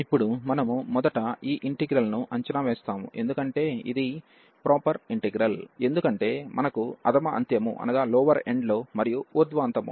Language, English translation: Telugu, Now, we will evaluate first this integral, because it is a proper integral we have no problem at the lower end and also at the upper end